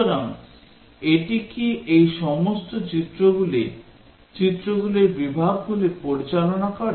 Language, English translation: Bengali, So, does it handle all these images, categories of images